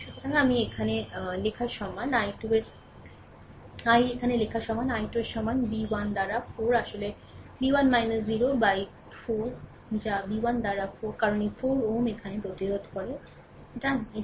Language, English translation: Bengali, So, i 3 is equal to writing here, i 3 is equal to this is b 1 by 4, actually b 1 minus 0 by 4 that is your b 1 by 4, because this 4 ohm resistances here, right